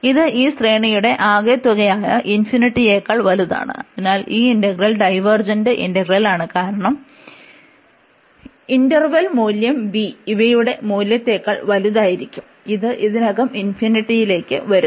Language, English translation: Malayalam, This is greater than this sum of the series, which is infinity, so that means this integral is a divergent integral, because the value of this interval will b larger than the value of the sum, which is coming already to infinity